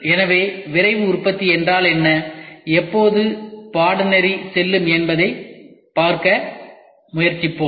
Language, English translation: Tamil, So, we will try to see what is a Rapid Manufacturing as and when the course goes by